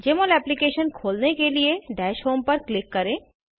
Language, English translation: Hindi, To open the Jmol Application, click on Dash home